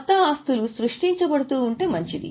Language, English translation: Telugu, It's good if new assets are getting created